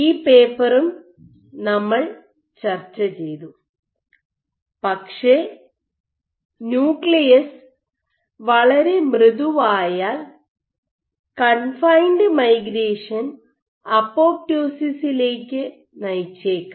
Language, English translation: Malayalam, Ok, but we have also discussed this paper, but if the nucleus is too soft your confined migration can lead to apoptosis